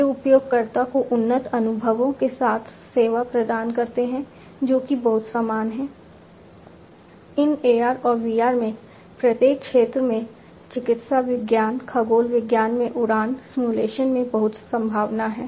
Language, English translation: Hindi, These serve the user with enhanced experiences that is also very similar and also what is similar is that, there is great prospect in the field of each of these AR and VR in fields like medical science, in astronomy, in you know, flight simulations and so on